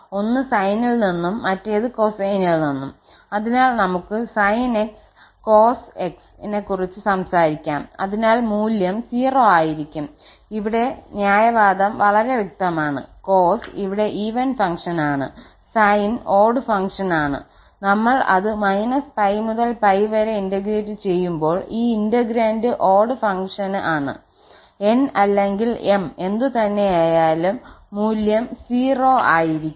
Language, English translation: Malayalam, So, we can talk about sin x cos x so that value will be also 0, and here the reasoning is very clear the cos is the even function here, sin is the odd function and when we integrate minus pi to pi this integrand is odd, so the value is 0 irrespective of whatever n or m is